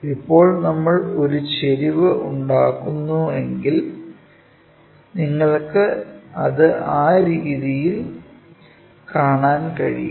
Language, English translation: Malayalam, Now, this one if we are going to make an inclination and that you can see it in that way